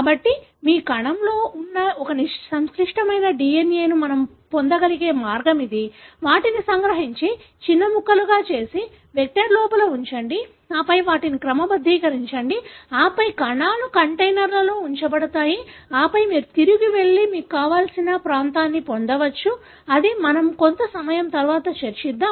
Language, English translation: Telugu, So, this is the way we are able to get a complex DNA that is there, present in your cell, extract them and make smaller pieces and put them inside the vectors and then sort them and then you have cells that are put into containers, and then you can go back and get whichever region that you want; that is something that we will discuss little later